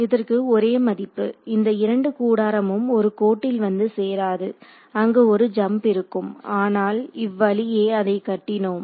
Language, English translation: Tamil, it will be the same value there will be no these 2 tents will come and meet at the same line there will be no jump over here, because of the way we have constructed it